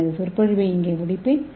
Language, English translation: Tamil, So I will end my lecture here